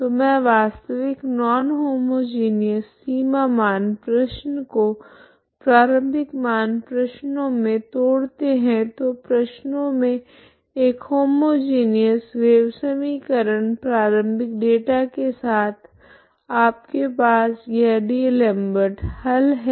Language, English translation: Hindi, So actually it is a initial value problem non homogeneous initial value problem into two decompose into two problems one is homogeneous wave equation with initial data this is what you have D'Alembert's solution